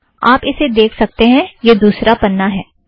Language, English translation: Hindi, Okay you can see it here, this is the second page